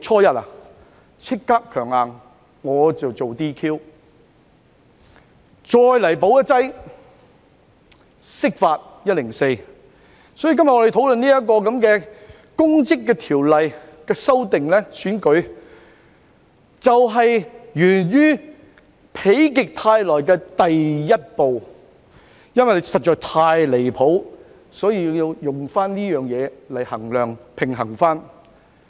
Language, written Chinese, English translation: Cantonese, 因此，我們今天討論《2021年公職條例草案》，就是否極泰來的第一步，因為事情實在太離譜，所以要這樣做來平衡。, Therefore our discussion of the Public Offices Bill 2021 the Bill today marks the first step of turning our misfortune into good luck . Given that the matter was too far off the beam we have to do this as a balance